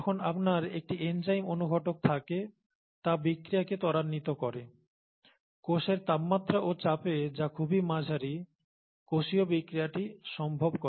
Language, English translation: Bengali, When you have an enzyme a catalyst, it speeds up the reactions, makes reactions possible, make cell reactions possible at the temperature pressure of the cell, which is very moderate, right